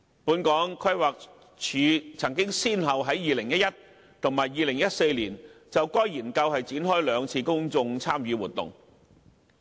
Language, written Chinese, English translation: Cantonese, 本港規劃署曾先後於2011年及2014年就該研究展開兩次公眾參與活動。, The Planning Department of Hong Kong already conducted two rounds of public engagement on the Study in 2011 and 2014